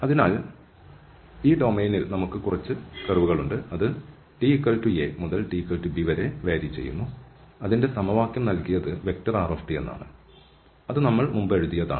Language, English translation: Malayalam, So, here in this domain, we have some curve, which varies from t equal to a to t equal to b, and the equation was given by our rt, which we have written before